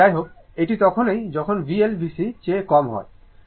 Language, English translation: Bengali, So, anyway, so this is your when V L less than V C